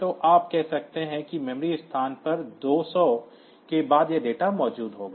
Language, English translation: Hindi, So, you can say that at memory location 200 onwards it will be if this is the location 200